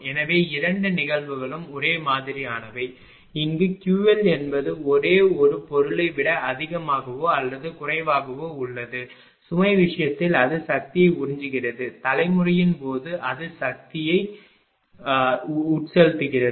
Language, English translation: Tamil, So, both the cases things are same here it is Q L greater than 0 less than only thing is that, in the case of load it is absorbing power, in the case of generation it is injecting power it is power supplying to the network right